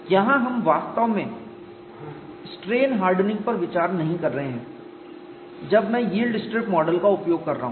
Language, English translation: Hindi, Here we are not really considering strain hardening when I am using the yield strip model